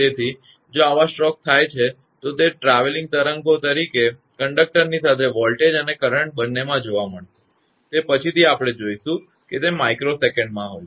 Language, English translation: Gujarati, So, if such strokes happen then that; both the voltage and the current will move along the conductor as a travelling wave, it is later we will see that; it happens in micro second